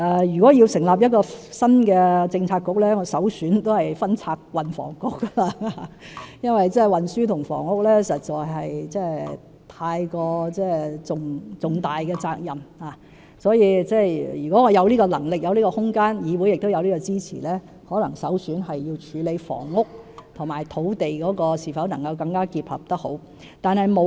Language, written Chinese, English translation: Cantonese, 如果要成立新的政策局，我的首選仍是分拆運輸及房屋局，因為運輸及房屋實在是很重大的責任，如果我有這個能力和空間，而議會也給予支持，我的首選可能是要處理房屋及土地能否結合得更好。, If a new Policy Bureau is to be established my priority will be to split the Transport and Housing Bureau as transport and housing are both heavy responsibilities . Granting the ability and room and with the support of the Council my priority will be to align better housing and land issues